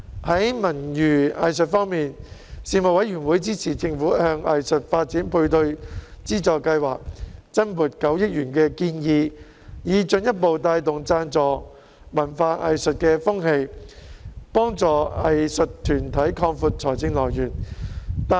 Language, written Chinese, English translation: Cantonese, 在文娛藝術方面，事務委員會支持政府向藝術發展配對資助計劃增撥9億元的建議，以進一步帶動贊助文化藝術的風氣，幫助藝術團體擴闊財政來源。, As regards culture leisure and the arts the Panel supported the Governments proposal to allocate an additional 900 million to the Art Development Matching Grants Scheme so as to further promote sponsorship of culture and arts and help arts groups expand their sources of funding